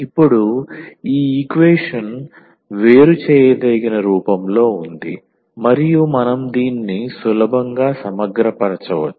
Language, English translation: Telugu, Now, this equation is in separable form and we can integrate this easily